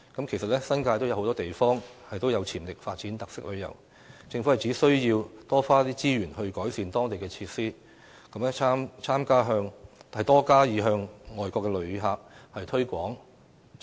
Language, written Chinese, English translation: Cantonese, 其實，新界很多地方都有潛力發展特色旅遊，政府應多花資源改善當地設施，並多加向外國旅客推廣。, Actually many places in the New Territories have potential for developing characteristic tourism . The Government should therefore deploy more resources to improve the facilities in those places and step up its efforts to promote those places to foreign visitors